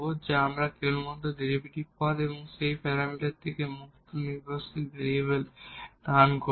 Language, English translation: Bengali, And then we will get equation which we will contain only the derivatives terms and the dependent independent variables free from that parameters